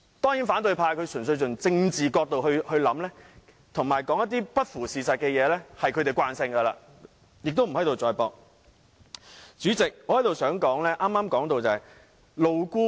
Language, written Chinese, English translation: Cantonese, 當然，反對派純粹從政治角度考慮問題，而且說話不符事實，這已是他們的習慣，無須在這裏多作爭論。, This is a fact . Of course the opposition Members merely consider problems from the political perspective and what they say are untrue . However that is their longstanding practice and we need not argue further here